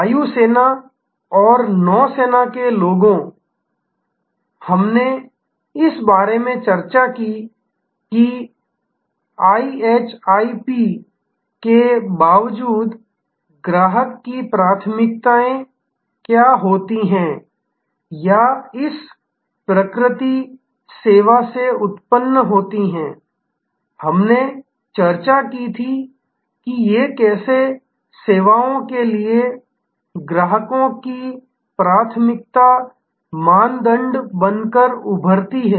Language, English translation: Hindi, The air force and the Navy people, we discussed about the, what leads to customer preferences in spite of the IHIP or rather arising out of this nature service, we had discussed how these emerge as customers preference criteria for services